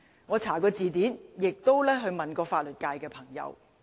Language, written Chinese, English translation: Cantonese, 我查過字典，亦詢問過法律界的朋友。, I have looked it up in the dictionary and asked my friends in the legal profession about it